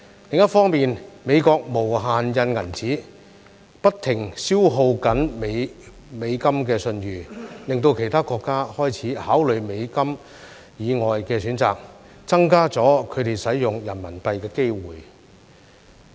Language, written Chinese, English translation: Cantonese, 另一方面，美國無限"印銀紙"，不停消耗美元的信譽，令其他國家開始考慮美元以外的選擇，增加了他們使用人民幣的機會。, Meanwhile the United States is printing money without limits which keeps eroding the reputation of the US dollar . This has prompted other countries to start to consider options other than the US dollar thus increasing their possibility of using RMB